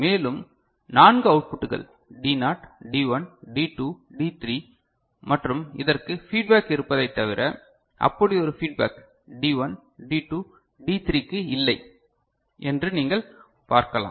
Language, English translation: Tamil, And, there are 4 outputs D naught D1, D2, D3 and what you can see except for this one where there is a feedback there is no such feedback for D1, D2, D3